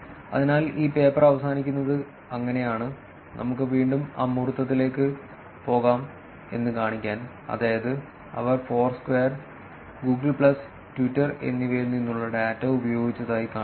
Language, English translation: Malayalam, So, that is how this paper ends, which is to show that let us go to the abstract again, which is to show that they used they used data from Foursquare, Google plus and Twitter